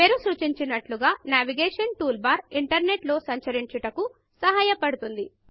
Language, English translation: Telugu, As the name suggests, the Navigation toolbar helps you navigate through the internet